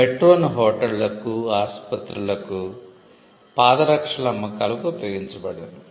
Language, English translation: Telugu, Like metro has been used for hotels, metro has been used for hospitals, metro has been used for selling footwear